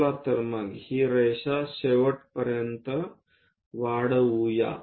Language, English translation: Marathi, So, let us extend this line all the way end